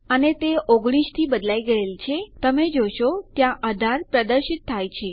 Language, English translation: Gujarati, And its changed to 19, as you can see, it displayed 18 there